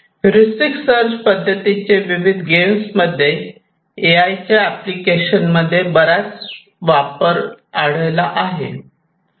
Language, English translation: Marathi, So, heuristic search methods are quite popular in AI and AI for games